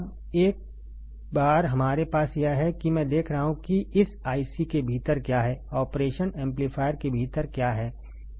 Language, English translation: Hindi, Now, once we have this I see what is there within this IC, what is there within the operation amplifier